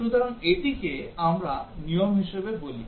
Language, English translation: Bengali, So, this we call as a rule